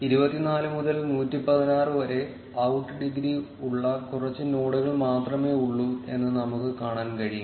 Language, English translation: Malayalam, We can see that there are only few nodes, which have out degree between 24 to 116